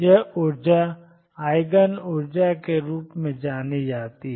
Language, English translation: Hindi, These energies are known as the Eigen energies